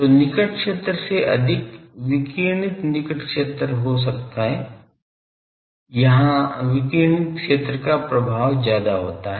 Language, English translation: Hindi, So, more than the near field one so, radiating near field so, here radiating fields predominate